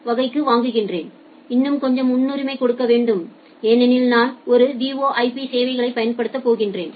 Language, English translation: Tamil, But in class 1 traffic you should give little more priority to my traffic, because I am going to use a VoIP services